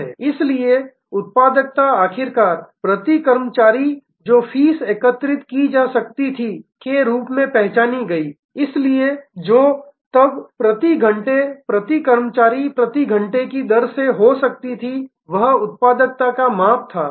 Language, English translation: Hindi, So, productivity was finally, seen that fees per staff that could be collected, so which could be then a fees per hours into hours per staff and that was the measure of productivity